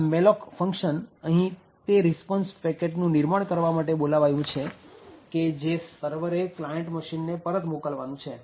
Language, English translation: Gujarati, So, this malloc is called to essentially create the response which is sent back from the server to the client